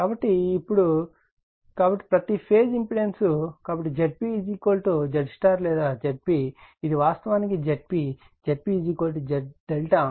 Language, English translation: Telugu, So, now right so, impedance per phase, so Z p Z phase is equal to Z y or Z p, this is Z p actually, Z p is equal to Z delta